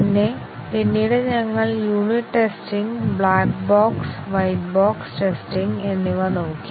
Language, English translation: Malayalam, And then, later we looked at unit testing, both black box and white box testing